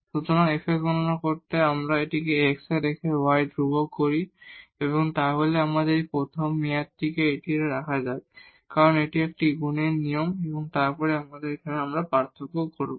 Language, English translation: Bengali, So, fx is simply if we differentiate this with respect to x keeping y constant, so we will have this first term let us keep it as it is it is a product rule and then here we will differentiate